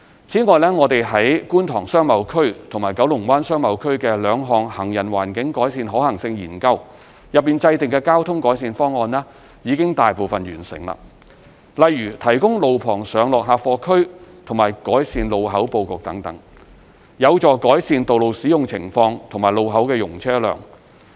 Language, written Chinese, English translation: Cantonese, 此外，我們在觀塘商貿區和九龍灣商貿區的兩項行人環境改善可行性研究中制訂的交通改善方案已大部分完成，例如提供路旁上落客貨區和改善路口布局等，有助改善道路使用情況和路口容車量。, Apart from the above most of the traffic improvement schemes formulated under the two feasibility studies on improving the pedestrian environment in the Kwun Tong Business Area and the Kowloon Bay Business Area have been completed such as provision of kerbside loading and unloading bays and enhancement of road junction layouts etc which are conducive to improving the traffic operations and junction capacity